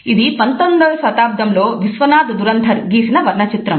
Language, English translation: Telugu, This is a 19th century painting by Vishwanath Dhurandhar